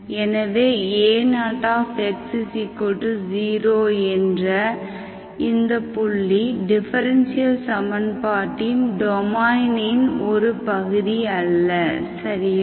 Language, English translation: Tamil, So wherever this is 0 of x is0, that point is not part of the domain of the differential equation, okay